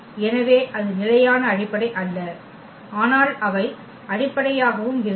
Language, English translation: Tamil, So, that was not the standard basis, but they were also the basis